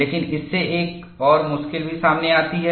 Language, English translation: Hindi, But this also brings in another difficulty